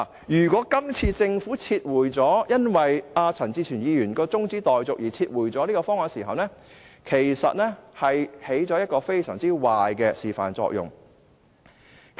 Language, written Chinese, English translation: Cantonese, 如果政府因為陳志全議員的中止待續議案而撤回現時的方案，便起了一個非常壞的示範作用。, If the Government withdrew the current proposal because of Mr CHAN Chi - chuens motion for adjournment it would set a very bad example